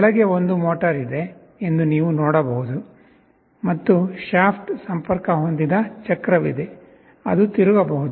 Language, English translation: Kannada, You can see there is a motor down below and there is a wheel that is connected to the shaft, which can rotate